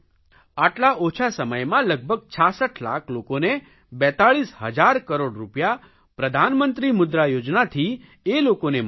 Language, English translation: Gujarati, Till now 66 lakh people have received 42,000 crore rupees through Pradhan Mantri Mudra Yojana